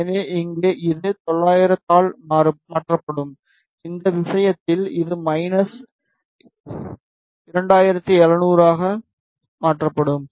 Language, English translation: Tamil, So, here it will be shifted by 90 degree and in this case it will be shifted by minus 270 degree